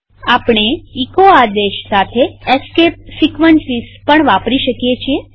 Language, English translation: Gujarati, We can also use escape sequences with echo command